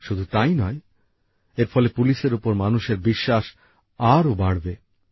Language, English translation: Bengali, Not just that, it will also increase public confidence in the police